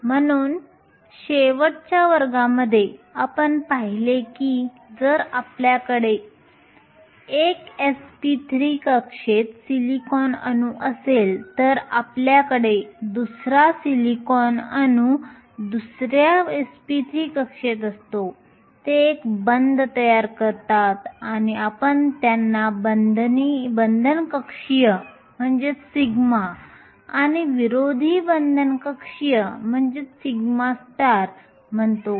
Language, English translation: Marathi, So, in last class we saw that if you have a silicon atom with 1 s p 3 orbital you had another silicon atom with another s p 3 orbital, they form a bond and we called the bonding orbital sigma and the anti bonding orbital sigma star